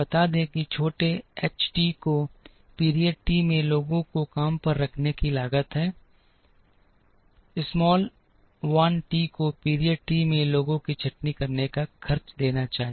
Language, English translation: Hindi, Let small h t be the cost of hiring people in period t, let small l t be the cost of laying off people in period t